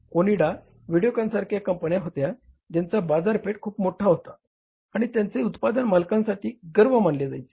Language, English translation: Marathi, There are the companies like Onida, Videocon, who had a very larger market share and their product was considered as a pride to the owner